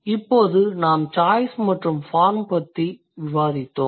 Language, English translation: Tamil, So, by now we have discussed choice and form